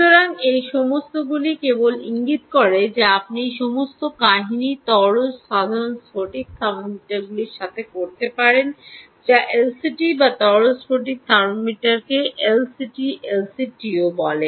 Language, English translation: Bengali, so all of this simply indicates that you can do all this story with simple liquid crystal thermometers, which are available, also called l c, ts or liquid crystal thermometer, also called l c, l, c, t l c, ts